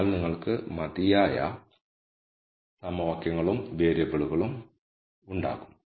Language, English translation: Malayalam, So, you will have enough equations and variables